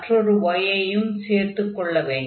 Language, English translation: Tamil, So, y we have has to be multiplied here